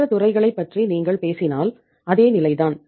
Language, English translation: Tamil, If you talk about the other sectors that was the same case